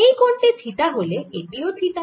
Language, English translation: Bengali, if this is theta, this is also theta